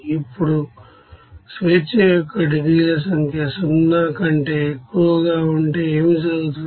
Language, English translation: Telugu, Now if number of degrees of freedom is greater than 0 what will happen